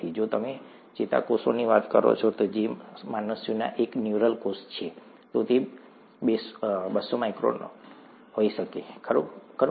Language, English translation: Gujarati, If you talk of a neuron, which is a neural cell in humans, that could be two hundred microns, right